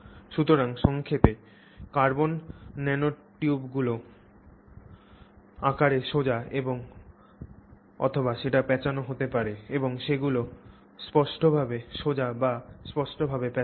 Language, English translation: Bengali, So, in summary, carbon nanotubes can be straight or coiled in morphology and they are distinctly straight or distinctly coiled